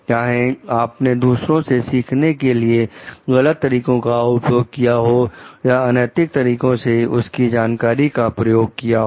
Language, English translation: Hindi, So, whether you have taken any unfair means to learn from others and use their information then it is unethical